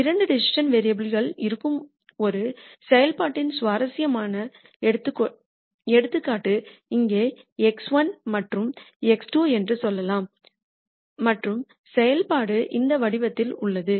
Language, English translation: Tamil, Here is an interesting example of a function where there are two decision variables let us say x 1 and x 2 and the function is of this form